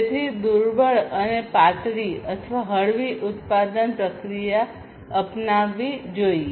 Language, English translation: Gujarati, So, lean and thin production process should be adopted